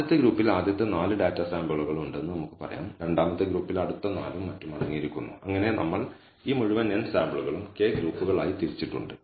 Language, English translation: Malayalam, So, let us say the first group contains, let us say, the first 4 data samples the second group contains the next 4 and so on, so forth and we have divided this entire n samples into k groups